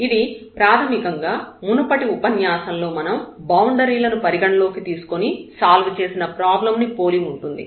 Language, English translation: Telugu, So, basically this is similar to the problem we have discussed in the previous lecture where, we had taken the boundaries into the consideration